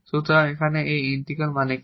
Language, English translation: Bengali, So, what this integral means here